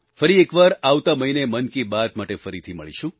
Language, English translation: Gujarati, Once again next month we will meet again for another episode of 'Mann Ki Baat'